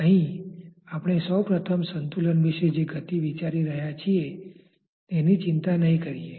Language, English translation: Gujarati, Here we will not first be bothered about the motion we are first considering about the equilibrium